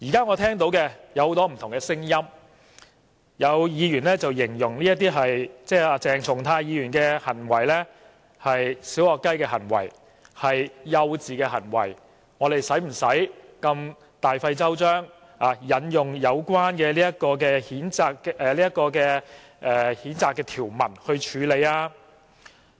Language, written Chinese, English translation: Cantonese, 我聽到了很多不同的聲音，有議員形容鄭松泰議員的行為是"小學雞"、幼稚，我們何用大費周章，引用有關譴責的《議事規則》條文來處理？, In this connection I have heard various views . Some Members described the behaviour of Dr CHENG Chung - tai as puerile and childish . Why should we spend so much efforts to handle it by invoking the Rules of Procedure in relation to censure?